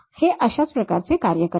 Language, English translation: Marathi, That is the way it works